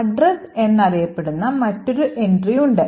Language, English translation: Malayalam, You have another entry which is known as the address